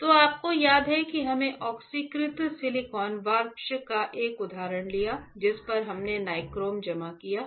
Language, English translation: Hindi, So, you remember right that we took an example of oxidized silicon vapor on which we have deposited nichrome right